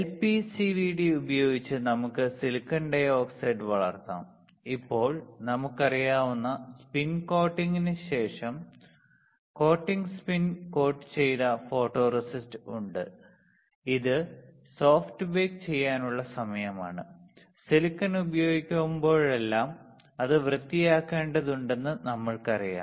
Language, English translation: Malayalam, We can grow silicon dioxide using lpcvd, now we have coated spin coated photoresist after spin coating we know, it is time for soft bake and we already know that whenever we use silicon, we had to clean it